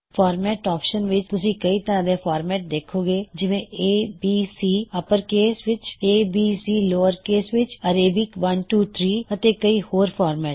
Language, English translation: Punjabi, Under the Format option, you see many formats like A B C in uppercase, a b c in lowercase,Arabic 1 2 3and many more